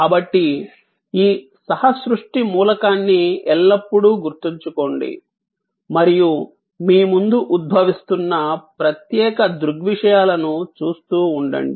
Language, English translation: Telugu, So, always remember this co creation element and keep watching that, particular phenomena emerging in front of you